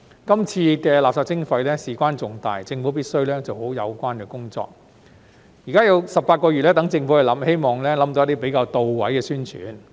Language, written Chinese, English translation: Cantonese, 這次垃圾徵費事關重大，政府必須做好有關工作，現在政府有18個月計劃，希望可以想到一些比較到位的宣傳。, This time as waste charging is a matter of great importance the Government must do the relevant work properly . Now that the Government has 18 months for planning it is hoped that the Government can come up with some relatively effective publicity strategies